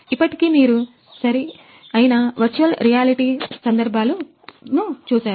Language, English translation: Telugu, You see right the virtual reality scenario